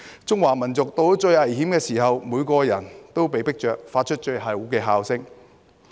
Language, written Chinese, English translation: Cantonese, 中華民族到了最危險的時候，每個人被迫着發出最後的吼聲。, As China faces its greatest peril from each one the urgent call to action comes forth